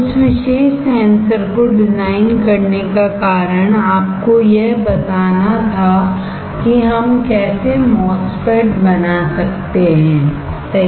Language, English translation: Hindi, The reason of designing that particular sensor was to give you an idea of how we can fabricate a MOSFET, right